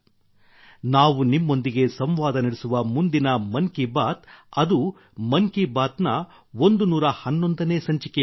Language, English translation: Kannada, Next when we will interact with you in 'Mann Ki Baat', it will be the 111th episode of 'Mann Ki Baat'